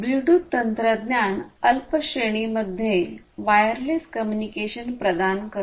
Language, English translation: Marathi, So, we have this Bluetooth technology which offers wireless communication in short range